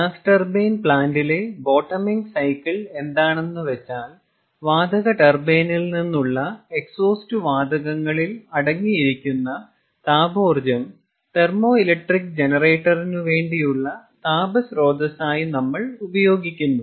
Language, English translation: Malayalam, and as a bottoming cycle in the gas turbine plant, is we use the reject heat, the exhaust heat, ah, or the heat contained in the exhaust gases from a gas turbine and use it as a heat source for the steam turbine